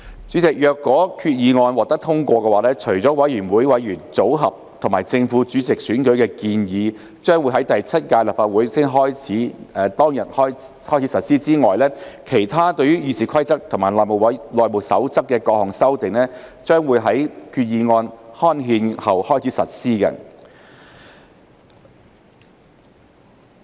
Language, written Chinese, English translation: Cantonese, 主席，若決議案獲通過，除了有關委員會委員組合及正副主席選舉的建議將於第七屆立法會開始當日起實施外，其他對《議事規則》及《內務守則》的各項修訂將於決議案刊憲後開始實施。, President should the resolution be passed except for the proposals on committee membership and election of chairman and deputy chairman which will come into operation on the day on which the Seventh Legislative Council begins various other amendments to RoP and HR will come into operation upon the gazettal of the resolution